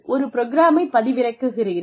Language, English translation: Tamil, You download the program